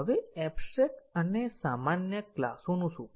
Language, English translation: Gujarati, Now, what about abstract and generic classes